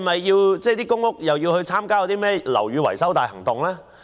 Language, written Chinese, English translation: Cantonese, 是否公屋也要參與樓宇維修大行動？, Should PRH estates be required to take part in the Operation Building Bright?